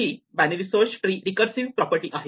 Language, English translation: Marathi, So, this is very much a generalization of binary search in the tree